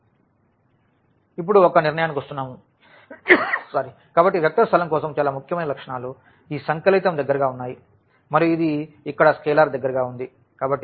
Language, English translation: Telugu, And, now coming to the conclusion, so, for the vector space the most important properties were these additive closer and this the scalar closer here